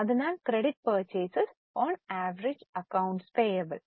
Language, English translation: Malayalam, So, credit purchase upon average accounts payable